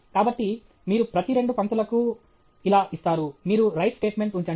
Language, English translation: Telugu, So, you keep on every two lines, you put write statement okay